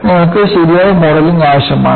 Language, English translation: Malayalam, So, you need to have proper modeling